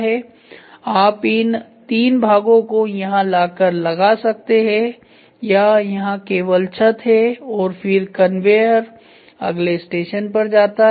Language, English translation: Hindi, So, you can these three parts come and get filled up or here it is only roof and then the conveyor keeps going to the next station